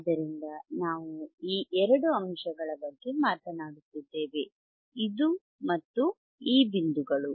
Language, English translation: Kannada, So, we are talking about these 2 points, this and theseis points